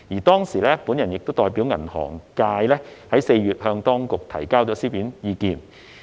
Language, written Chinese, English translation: Cantonese, 當時我亦代表銀行界於4月向當局提交書面意見。, I also submitted written views to the Administration on behalf of the banking industry in April